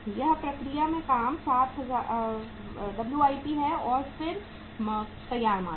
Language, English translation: Hindi, This is the work in process and then the finished goods